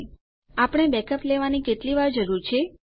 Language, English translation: Gujarati, How often do we need to take backups